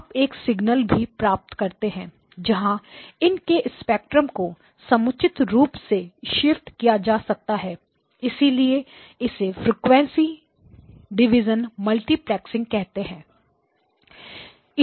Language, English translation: Hindi, You get a single signal where the spectra of these signals are suitably shifted so that is called a frequency division multiplexing